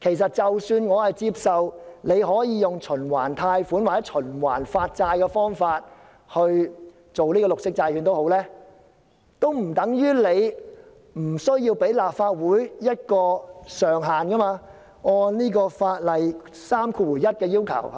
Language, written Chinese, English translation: Cantonese, 即使我接受政府可以循環貸款或循環發債的方法推出綠色債券，但這並不等於政府無須按《借款條例》第31條的要求，向立法會提交一個借款上限，對嗎？, Even if I accept that the Government may introduce green bonds by means of credit facility or bonds issued on a revolving basis it does not mean that the Government needs not comply with the requirement under section 31 of the Ordinance in stating a borrowing ceiling for the Legislative Council